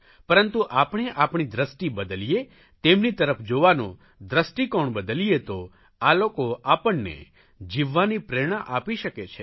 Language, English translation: Gujarati, But if we change our outlook and our perspective towards them, then these people can inspire us to live